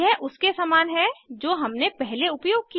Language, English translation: Hindi, It is similar to the one we used earlier